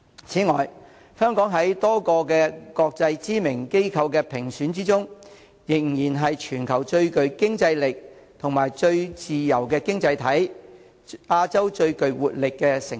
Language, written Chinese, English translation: Cantonese, 此外，香港在多個國際知名機構的評級中，仍然是全球最具競爭力及最自由的經濟體、亞洲最具活力的城市。, Moreover according to the ratings conducted by many internationally renowned rating agencies Hong Kong is still the most competitive and freest economy in the world and the most robust city in Asia